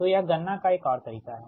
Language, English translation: Hindi, so this is another way of calculating